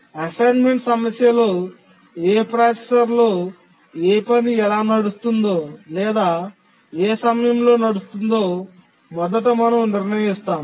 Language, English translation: Telugu, In the assignment problem, we first decide which task will run on which processor and then how or what time will it run